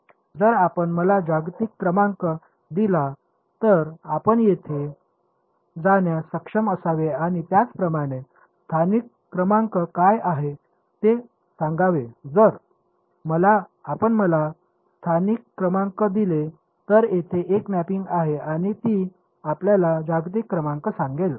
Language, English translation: Marathi, If you give me the global number you should be able to go and tell me what are the local numbers similarly if you give me the local numbers there is a mapping that will go and tell you the global number